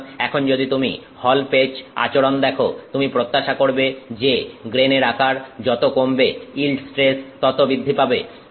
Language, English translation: Bengali, So, now if you look at the halpatch behavior, you are expecting that as the grain size goes down, the yield stress will go up